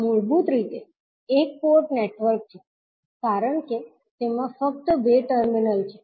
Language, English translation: Gujarati, So, this is basically a one port network because it is having only two terminals